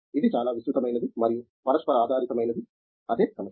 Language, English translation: Telugu, This is so very wide and interdisciplinary, that is the problem